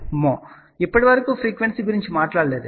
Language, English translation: Telugu, Now, till now frequency has not come into picture